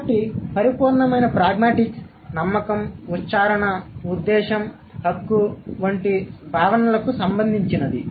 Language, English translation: Telugu, So, pure pragmatics would be related to concepts like belief, utterance, intention, right